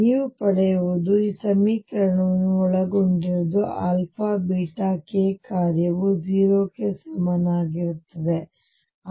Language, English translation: Kannada, So, what you get is that you have this equation which involves alpha, beta, k, a function is equal to 0